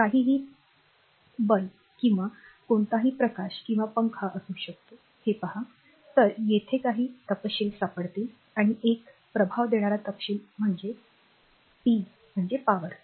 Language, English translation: Marathi, If you see anything can be bulb or any light or fan, you will find some specification is there and one important specification is the power right